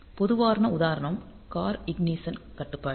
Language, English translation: Tamil, So, typical example is a car ignition control